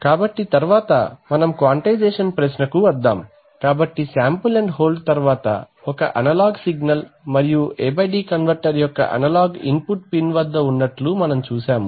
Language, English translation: Telugu, So next let us come to the question of quantization, so we have now seen that an analog signal after sample and hold present itself at the analog input pin of the A/D converter, right